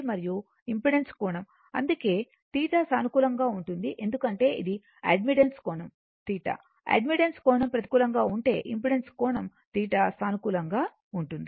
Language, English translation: Telugu, And angle of impedance; that means, theta is positive because it is theta Y angle of admittance if angle of admittance become negative then angle of impedance theta will become positive right